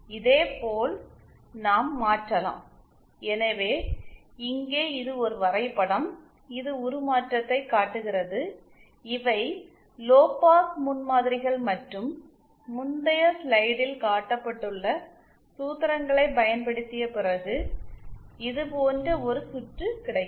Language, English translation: Tamil, Similarly we can also transform from, so here this is a graph, this shows the transformation, these are the lowpass prototypes and after applying those formulas that are shown in the previous slide, we will get a circuit like this